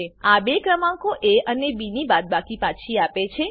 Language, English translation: Gujarati, This returns the subtraction of two numbers a and b